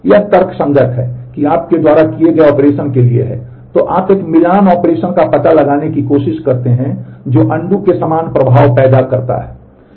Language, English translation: Hindi, It is logical that is for the operation that you have performed, you try to find out a matching operation which creates the similar effect as of undo